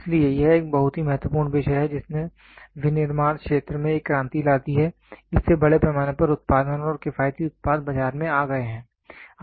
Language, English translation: Hindi, So, this is a very important topic this made a revolution in manufacturing, this made mass production and economical products come into the market